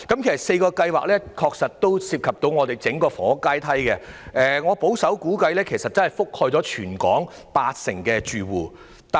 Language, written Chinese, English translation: Cantonese, 上述4項計劃均涉及整體的房屋階梯，而我保守估計已涵蓋全港八成住戶。, The above four projects are all related to the overall housing ladder and according to my conservative estimation they have covered 80 % of the households territory - wide